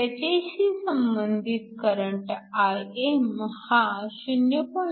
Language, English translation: Marathi, The corresponding current Im is 0